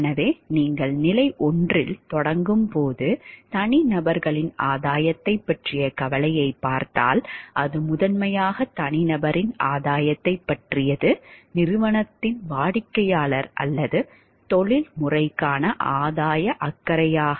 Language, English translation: Tamil, So, if you see when you start with stage 1 the concern is for the gain of the individual, it is primarily for the individual not to the company client or profession